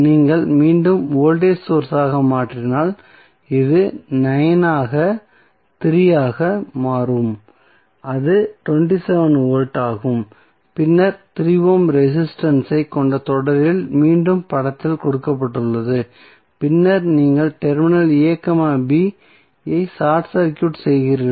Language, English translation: Tamil, If you transform again into voltage source so this will become 9 into 3 that is 27 volt then in series with 3 ohm resistance again in series with 3 ohm resistance which is given in the figure and then you are short circuiting the terminal a, b